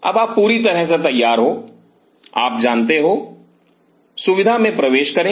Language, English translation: Hindi, Now you are all set, do you know enter the facility